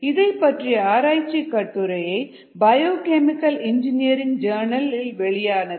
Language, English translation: Tamil, it was published in biochemical engineering journal